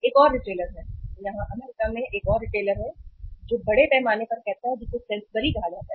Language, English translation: Hindi, There is a another retailer, here there is another retailer uh in say US largely which is called as Sainsbury